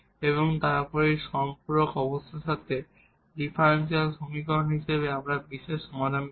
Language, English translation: Bengali, And then as differential equation together with these supplementary conditions we will get particular solutions